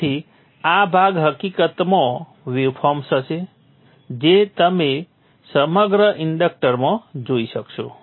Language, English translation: Gujarati, So this portion in fact would be the waveform that you would be seeing across the inductor